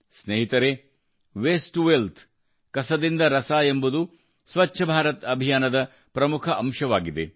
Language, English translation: Kannada, Friends, 'Waste to Wealth' is also an important dimension of the Swachh Bharat Abhiyan